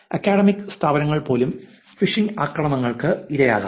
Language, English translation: Malayalam, Even academic institutes probably are victims of phishing attacks